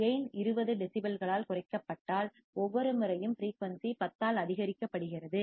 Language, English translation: Tamil, If gain is decreased by 20 decibels, each time the frequency is increased by 10